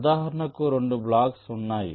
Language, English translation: Telugu, these are two blocks